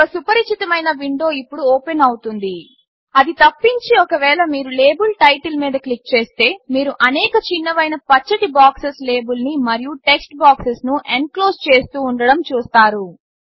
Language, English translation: Telugu, A familiar window opens now, Except that if you click on the label title, you will see several small green boxes enclosing the label and the text box